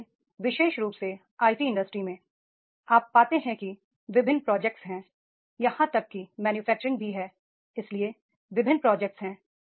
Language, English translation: Hindi, Like in especially in IT industries you find there are the different projects are there in manufacturing also there